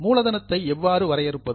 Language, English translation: Tamil, Now, how do you define capital